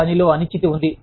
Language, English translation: Telugu, There is uncertainty at work